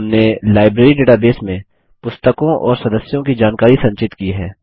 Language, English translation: Hindi, We have stored information about books and members in our Library database